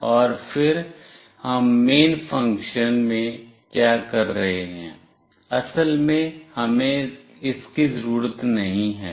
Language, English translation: Hindi, And then in the main what we are doing, actually we do not require this